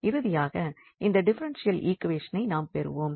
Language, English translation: Tamil, So, we will get this differential equation a simple differential equation